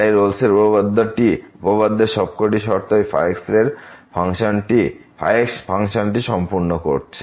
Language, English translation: Bengali, So, all the conditions of the Rolle’s theorem are satisfied for this function